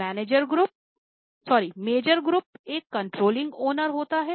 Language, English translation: Hindi, Major group is a controlling owner